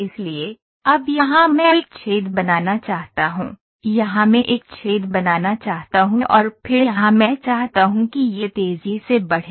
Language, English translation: Hindi, So, now so here I want to make a hole, here I want to make a hole and then here I want it to fasten